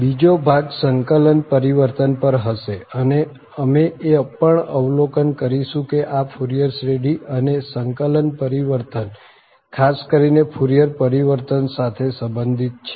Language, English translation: Gujarati, The second portion will we be on integral transform and we will also observe there is a connection from this Fourier series to the integral transforming particular the Fourier transform